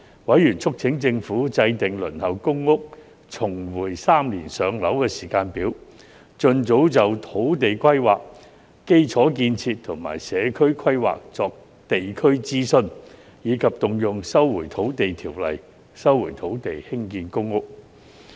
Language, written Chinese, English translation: Cantonese, 委員促請政府制訂"輪候公屋重回3年上樓"時間表；盡早就土地規劃、基礎建設及社區規劃作地區諮詢；以及動用《收回土地條例》收回土地興建公屋。, Members urged the Government to formulate a timetable for reverting the waiting time for public rental housing PRH to three years; expeditiously consult the local community on land rezoning infrastructure building and community planning; and invoke the Lands Resumption Ordinance to resume land for providing public housing